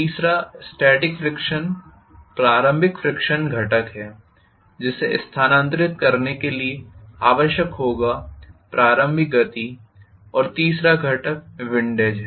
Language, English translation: Hindi, The third static friction is the initial frictional component which will be required to move, give the initial momentum and the third component is windage